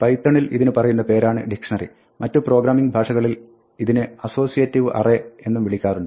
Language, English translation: Malayalam, This is what python calls a dictionary, in some other programming languages this is also called an associative array